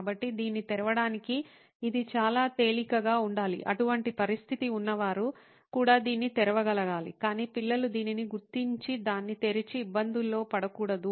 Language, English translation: Telugu, So, it should be easy enough to open it, even people with such a condition should be able to open it but still kids should not figure this out and open it and get into trouble